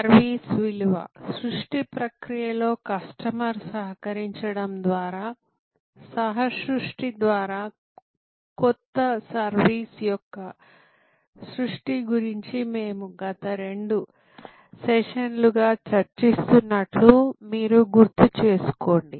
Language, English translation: Telugu, You recall, in the last couple of sessions we were discussing about new service value creation through co creation by co opting the customer in the value creation process